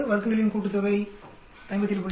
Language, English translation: Tamil, 6, sum of squares is 57